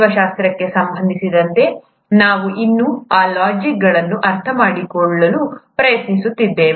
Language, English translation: Kannada, For biology, we are still trying to understand those logics